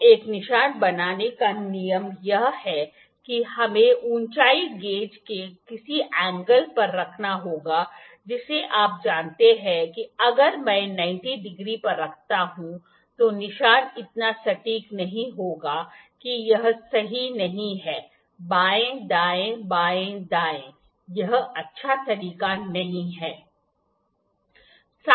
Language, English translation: Hindi, So, the rule to make a mark is we have to make we have to keep the height gauge at some angle you know if I do at 90 degree the mark would not be that very precise this is not a right way left, right, left, right, this is not a good way